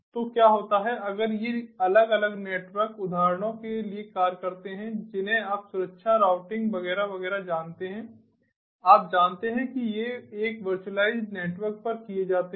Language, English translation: Hindi, so this network function virtualization, so what happens if these different network functions, for examples, you know, ah, ah, security, routing, etcetera, etcetera, these have been, these have been, ah, you know these, these are performed on a virtualized networks